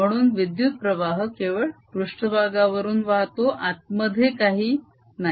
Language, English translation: Marathi, so current is flowing on the surface, inside there is nothing